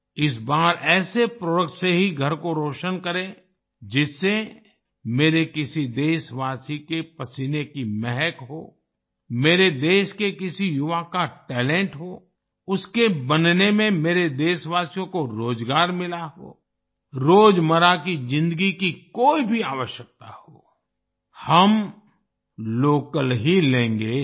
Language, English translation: Hindi, This time, let us illuminate homes only with a product which radiates the fragrance of the sweat of one of my countrymen, the talent of a youth of my country… which has provided employment to my countrymen in its making